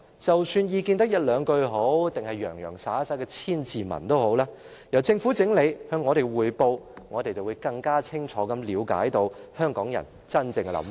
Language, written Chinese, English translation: Cantonese, 無論意見只有兩句，還是洋洋灑灑的千字文，先由政府整理，然後向我們匯報，我們便會更清楚了解香港人真正的想法。, Public views may just be presented in a few lines or they may be an essay of a thousand words but whatever the case may be if the Government can collate such views beforehand and then report to us we will be able to get a clearer picture of the real thoughts of Hong Kong people